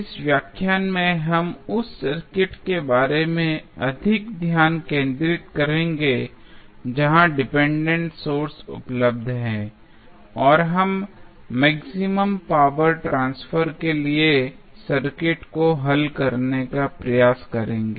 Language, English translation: Hindi, In this lecture, we will more focused about the circuit where the dependent sources are available, and we will try to solve the circuit for maximum power transfer